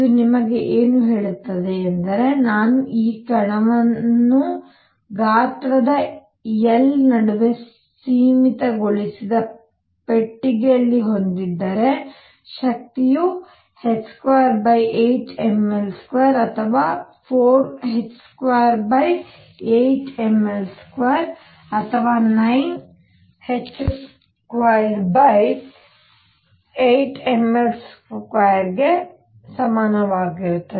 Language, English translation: Kannada, So, what this tells you is that if I have this particle in a box confined between of size L, the energy is equal to either h square over 8 m L square or 4 h square over 8 m L square or 9 h square over eight m L square and so on